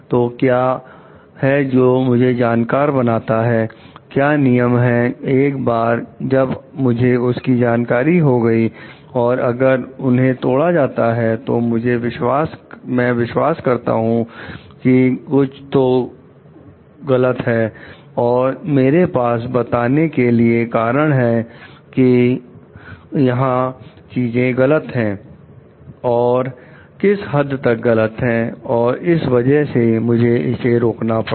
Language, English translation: Hindi, So, that what are the to make myself knowledgeable, once I am knowledgeable about what are the regulations given and whether it is violating on what aspects so that if I believe something is wrong, I can have reasons to tell properly where things are going wrong and to what extent and why this needs to be chopped stop